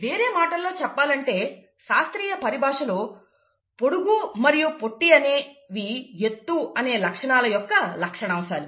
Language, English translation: Telugu, In other words, in terms of classic terminology; tall and short, these are the traits of the character height